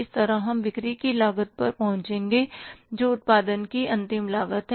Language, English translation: Hindi, So, we will arrive at the cost of sales that is the final cost of the production